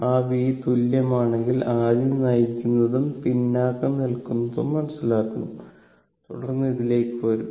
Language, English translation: Malayalam, That if you take that v is equal to, first we have to understand leading and lagging and then will come to this